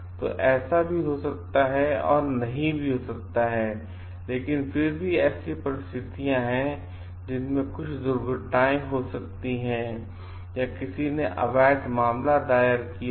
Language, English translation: Hindi, So, it may or may not happen, but still there are like situations, in which may be some accidents may have happen, or somebody has filed illegal case